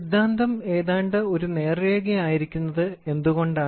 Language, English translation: Malayalam, Why theory it is almost a straight line